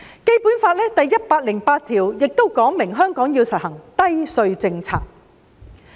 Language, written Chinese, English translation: Cantonese, 《基本法》第一百零八條說明，香港要實行低稅政策。, Article 108 of the Basic Law provides that Hong Kong must implement the low tax policy